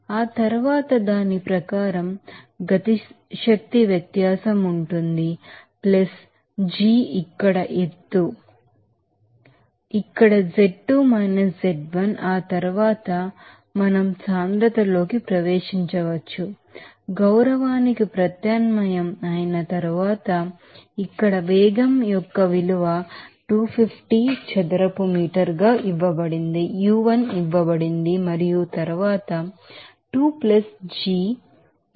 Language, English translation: Telugu, And then accordingly kinetic energy difference will be there + g into here elevation height here z2 z1 we can right into density after that, then we can right after substitution of respect the value of here velocity here u2 is given 250 Square u1 is here for 300 and then divided by 2 + here + g is 9